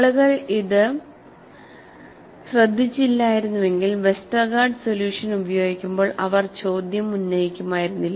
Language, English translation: Malayalam, If people have not noted this, they would not have raised the question while using the Westergaard solution